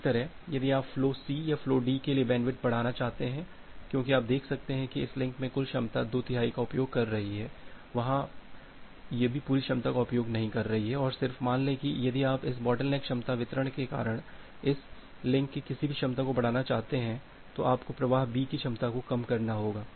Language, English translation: Hindi, Similarly, if you want to increase the bandwidth for flow C or flow D because you can see that in this link the total capacity that is being utilized two third, it is not utilizing the full capacity here also, it is not utilizing the full capacity and just by taking that if you want to increase the capacity of any of this link because of this bottleneck capacity distribution, you have to decrease the capacity of say flow B